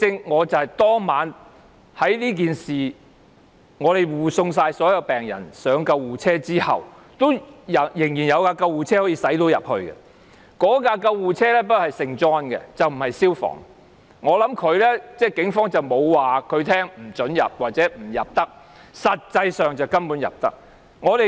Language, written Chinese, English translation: Cantonese, 我當晚護送所有病人上救護車後，仍然有救護車可以駛進去，不過那輛救護車是聖約翰救傷隊的，不是消防處的，我估計警方沒有不准它駛入，其實根本可以進入。, After I had escorted all the patients in boarding the ambulances that evening another ambulance belonging to St John instead of FSD could also go in . I guess the Police did not bar it from entering . It was actually possible to enter the compound